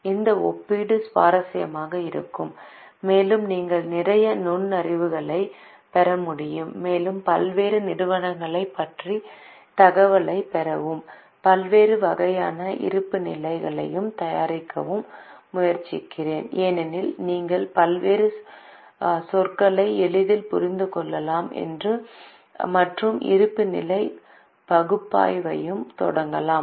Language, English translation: Tamil, This comparison will be interesting and you can get a lot of insights and I will request you to get data about various companies and try to prepare balance sheets of various types because then you can easily understand various terminologies and also start analyzing the balance sheet